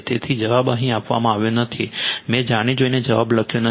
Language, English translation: Gujarati, So, answer is not given here I given intentionally I did not write the answer